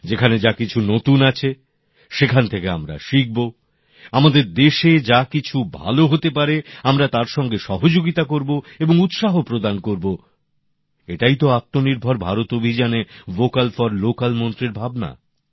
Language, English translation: Bengali, Wherever there is anything new, we should learn from there and then support and encourage what can be good for our countryand that is the spirit of the Vocal for Local Mantra in the Atmanirbhar Bharat campaign